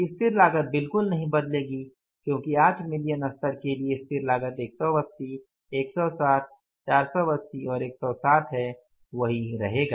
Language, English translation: Hindi, Fix cost will not change at all because for the 8 million level what is the fixed cost, 180, 160 and 160 that will remain the same